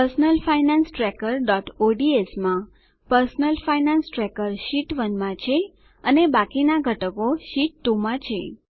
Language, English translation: Gujarati, In Personal Finance Tracker.ods the personal finance tracker is in Sheet 1 and the rest of the content is in Sheet 2